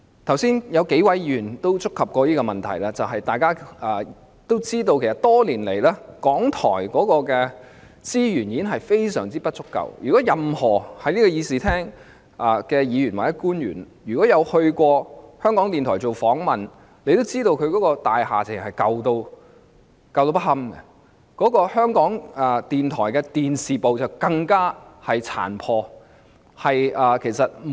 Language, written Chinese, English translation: Cantonese, 剛才數位議員亦曾觸及這問題，大家也知道港台的資源多年來嚴重不足，正在議事廳的議員或官員如果曾到港台接受訪問，也會知道它的大廈殘舊不堪，而港台的電視部更是相當殘破。, Just now several Members also touched on this issue . As we all know RTHK has been hamstrung by a serious shortage of resources over the years . If Members or officials present in the Chamber have been to RTHK for interviews they would know that its building is unbearably old